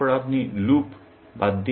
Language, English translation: Bengali, Then, you remove loops